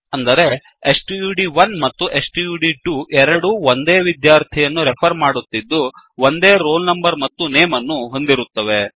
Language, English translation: Kannada, That means, both stud1 and stud2 are referring to the same student with a roll number and name